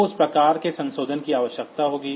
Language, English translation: Hindi, So, that type of modification will be required